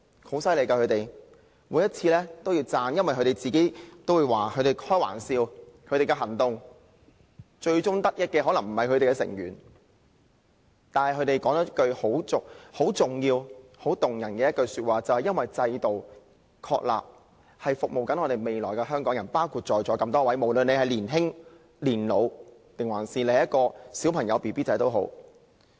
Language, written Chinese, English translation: Cantonese, 他們很厲害，我每一次都會稱讚他們，他們也經常開玩笑說他們的行動的最終得益者可能不是他們自己，但他們說了一句很重要、很動人的話，便是確立制度是為了服務未來的香港人，包括在座的每一位，也包括社會上不同人士，不論是嬰兒、小孩、年青人或長者。, These elderly are awesome and I commended them every time they staged a petition . They often said jokingly that they themselves might not be the ultimate beneficiaries of their actions but then they made a remark which is very important and touching . They said that the establishment of the system is to serve the people of Hong Kong in future including every one of us in this Chamber and also different members of the community be they babies children youngsters or the elderly